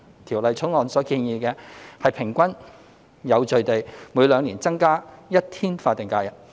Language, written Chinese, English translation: Cantonese, 《條例草案》所建議的，是平均有序地每兩年增加一天法定假日。, The Bill proposes to increase one additional day of SH in every two years in an even and orderly manner